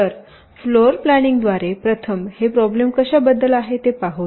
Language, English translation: Marathi, so floor planning, let us first see what this problem is all about